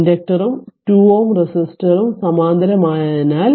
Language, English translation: Malayalam, Since the inductor and the 2 ohm resistor are in parallel right